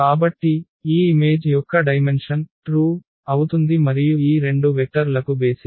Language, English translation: Telugu, So, the dimension of this image is going to be true and the basis these two vectors